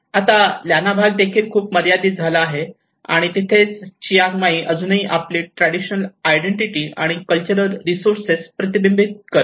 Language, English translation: Marathi, And now the Lanna part has been very limited, and that is where the Chiang Mai which is still reflecting its traditional identity and the cultural resources